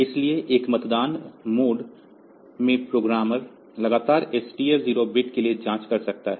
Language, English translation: Hindi, So, programmer in a pole in a polling mode can continually check for this TF 0 a TF 0 bits